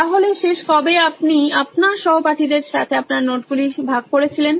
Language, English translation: Bengali, So when was the last time you shared your notes with your classmates